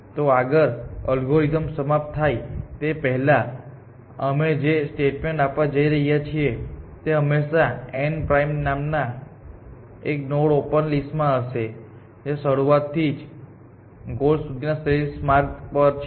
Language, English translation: Gujarati, So, the next statement that we are making is in that before the algorithm terminates, it will always have in it is open list one node, which we will call n prime which is on the optimal path from start to goal essentially